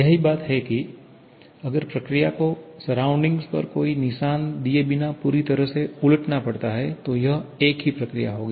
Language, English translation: Hindi, That is if the process has to be completely reversed without giving any mark on the surrounding, then it would rather same process